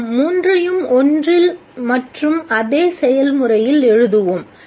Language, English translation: Tamil, Let's write all the three in one and the same process